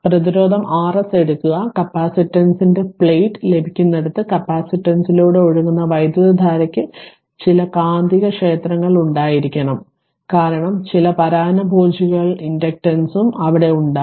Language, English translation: Malayalam, For conducting plate of the capacitor where we are getting it, and as the current flowing through the capacitor there must be some magnetic field because of that some parasitic inductance also will be there